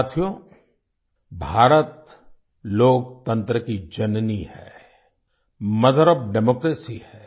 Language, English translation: Hindi, Friends, India is the mother of democracy